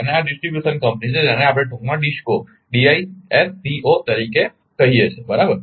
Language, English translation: Gujarati, And this is distribution company in short we call DISCO right